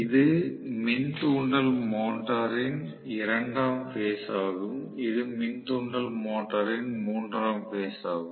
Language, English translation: Tamil, This is the second phase of the induction motor and this is the third phase of the induction motor